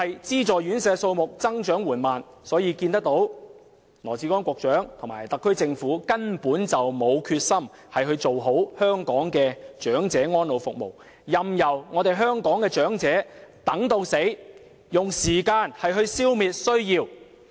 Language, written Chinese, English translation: Cantonese, 資助院舍數目增長緩慢，可見羅致光局長及特區政府根本沒有決心做好香港的長者安老服務，任由長者在等待中離世，用時間來消滅需要。, The slow growth of subsidized residential care homes reflects a downright lack of determination on the part of Secretary Dr LAW Chi - kwong and the SAR Government to ensure the quality of elderly care services in Hong Kong . They let elderly persons pass away during the long wait without offering to intervene effecting the elimination of demand with time